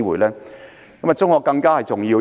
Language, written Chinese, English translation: Cantonese, 對我而言，中學更加重要。, To me my secondary school has been even more important